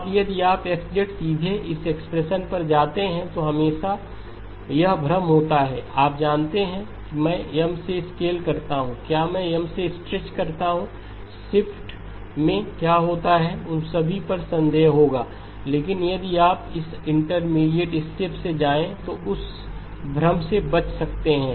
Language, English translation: Hindi, Now if you go directly from X of z to this expression there is always this confusion, you know do I scale by M, do I stretch by M, what happens to the shift, all of those doubts will occur but if you go through this intermediate step can avoid that confusion